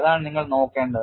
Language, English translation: Malayalam, That is what you have to look at it